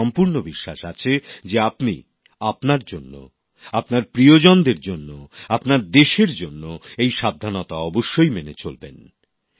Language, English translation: Bengali, I am sure that you will take these precautions for yourself, your loved ones and for your country